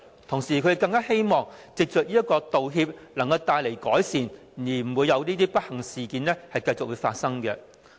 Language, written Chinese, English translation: Cantonese, 同時，他們更希望藉着道歉帶來改善，令這些不幸事件不會繼續發生。, They also hoped that an apology could bring forth improvement and prevent the occurrence of similar unfortunate incidents